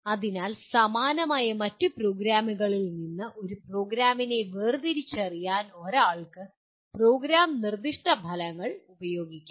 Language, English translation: Malayalam, So one can use the Program Specific Outcomes to differentiate a program from other similar programs